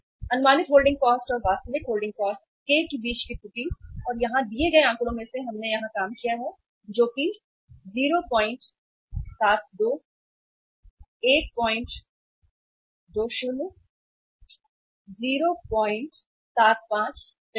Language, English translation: Hindi, Error between estimated holding cost and the actual holding cost k and here we have out of the given figures here we have worked it out that is 0